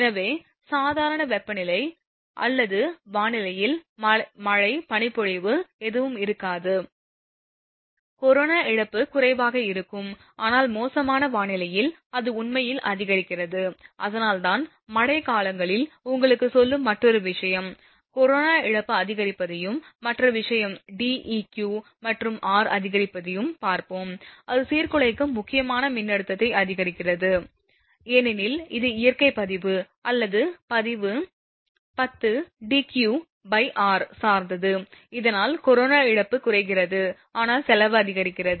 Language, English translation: Tamil, So, when normal temperature or your normal weather, there will be no rain, no snow fall nothing is there and the in fair weather condition, in that case corona loss will be low, but foul weather condition it increases actually that is why I am telling you during rainy season another thing we will see corona loss increases and other thing is an increase in Deq and r, increase the disruptive critical voltage because it depends on the natural log or log base 10 that is ratio Deq upon r, thus reduces the corona loss, but increases the cost